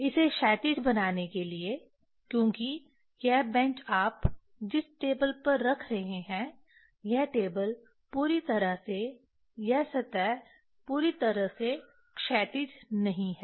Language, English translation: Hindi, To make it horizontal because this bench you are putting on a table this table may not be the perfectly this surface is not perfectly the horizontal